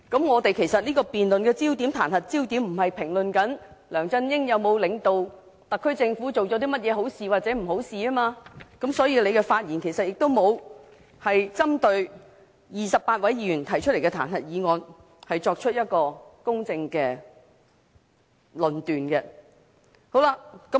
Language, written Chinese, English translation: Cantonese, 我們此項辯論的彈劾焦點，不是評論梁振英有否領導特區政府做了甚麼好事或不好的事，所以，他的發言亦沒有針對28位議員提出的彈劾議案，作出公正的論述。, The focus of this debate on the impeachment motion is not what good or bad things the SAR Government has done under LEUNG Chun - yings leadership . Thus the Chief Secretary has not in his speech made fair comments on the motion of impeachment initiated by 28 Members